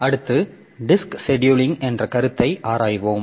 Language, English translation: Tamil, Next we'll be looking into the concept of disk scheduling